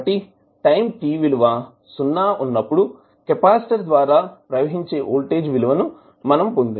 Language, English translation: Telugu, So this is what we get from voltage across the capacitor at time t is equal to 0